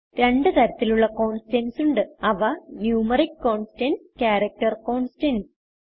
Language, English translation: Malayalam, There are two types of constants , Numeric constants and Character constants